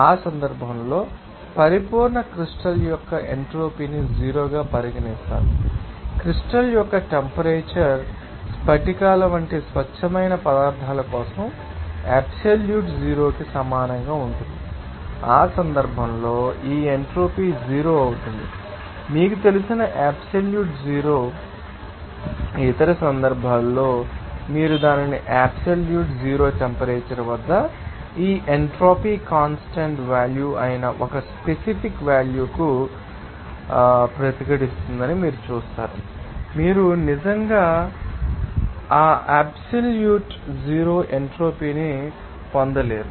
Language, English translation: Telugu, And in that case the entropy of the perfect crystal is regarded as zero and the temperature of the crystal is equal to the absolute zero for the pure substances like few crystals in that case this entropy will be zero at its you know absolute zero whereas, in other cases you will see that at its absolute zero temperature, this entropy will resist to a certain value that is a constant value, you cannot actually get that absolute zero entropy